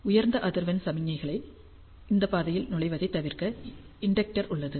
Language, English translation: Tamil, Inductor to avoid high frequency signals to enter this path